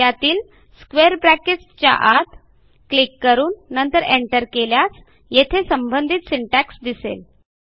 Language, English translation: Marathi, If I click in the middle of the square brackets and hit enter, the syntax for this command will appear here